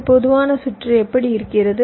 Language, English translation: Tamil, this is how a typical circuit today looks like